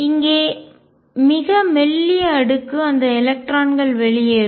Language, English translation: Tamil, And very thin layer out here those electrons getting exited